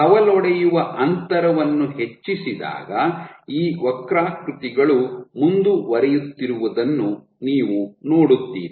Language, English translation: Kannada, So, as you increase the branching distance you will see that these curves will keep on going up and up